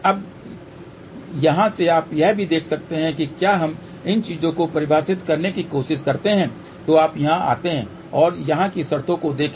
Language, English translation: Hindi, Now, from here you can also see if we try to define these things you come over here and look at the terms here